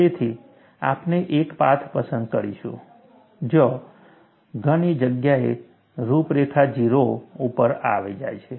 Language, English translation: Gujarati, So, we will choose a path, where the contour goes to 0 at many places